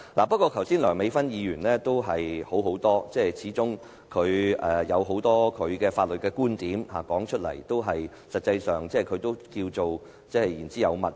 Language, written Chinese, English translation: Cantonese, 不過，梁美芬議員剛才的發言卻較佳，始終她提出了很多她的法律觀點，不論我們是否認同，事實上她也是言之有物。, However the speech delivered by Dr Priscilla LEUNG just now was better . After all she presented a lot of her viewpoints in law . No matter whether we agree with her or not her speech did have some substance